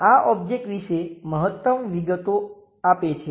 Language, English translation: Gujarati, This gives maximum details about the object